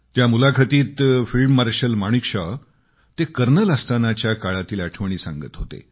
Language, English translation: Marathi, In that interview, field Marshal Sam Manekshaw was reminiscing on times when he was a Colonel